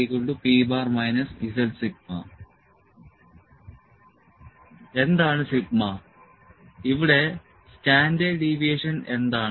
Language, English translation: Malayalam, What is sigma, but what is standard deviation here